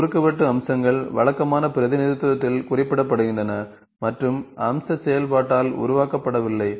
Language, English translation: Tamil, Intersecting features are represented on conventional representation and not generated by feature operation